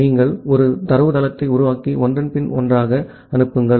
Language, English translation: Tamil, So, you just create a datagram and send it one after another